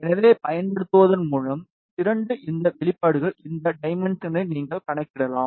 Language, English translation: Tamil, So, by using these expressions you can calculate these dimensions